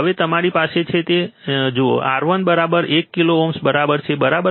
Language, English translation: Gujarati, Now given that you are have, R 1 equals to 1 kilo ohm this one, right